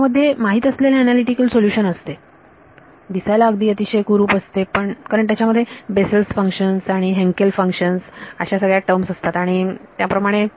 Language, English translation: Marathi, These have known analytical solutions we can they look ugly because there are in terms of Bessel function and Hankel functions and all that